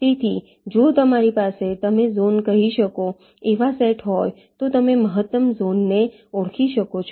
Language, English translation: Gujarati, so if you have ah set of such, you can say zones, you can identify the maximal zone